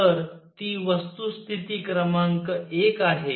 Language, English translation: Marathi, So, that is fact number one